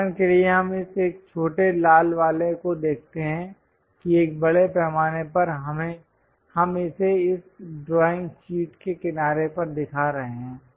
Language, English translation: Hindi, For example, let us look at this one this small red one, that one extensively we are showing it at sides the side of this drawing sheet